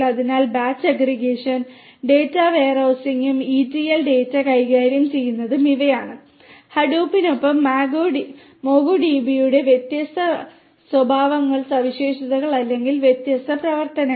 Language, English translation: Malayalam, So, batch aggregation data warehousing and ETL data handling these are the different characteristics of or the different functionalities of the MongoDB along with Hadoop